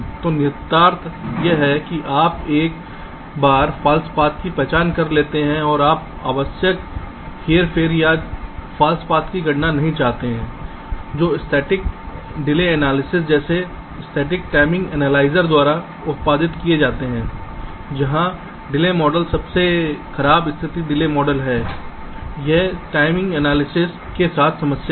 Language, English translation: Hindi, so the implication is that you one false paths to be identified and you do not want unnecessary manipulation or computation of false paths that are produced by static delay analysis, like static timing analyzer, where the delay model is the worst case delay model